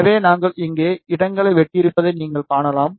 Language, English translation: Tamil, So, you can see we have cut the slots here